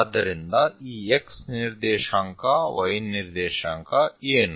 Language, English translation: Kannada, So, what about this x coordinate, y coordinate